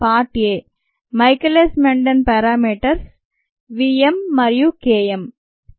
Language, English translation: Telugu, part a: michaelis menten parameters, which we know are v, m and k m n